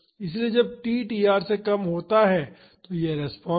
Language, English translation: Hindi, So, when t is less than tr this is the response